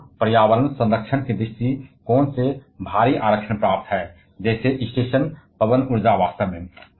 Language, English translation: Hindi, Wind has huge reservation from environmental protection point of view, like station wind powers in fact